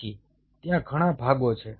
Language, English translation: Gujarati, so there are several parts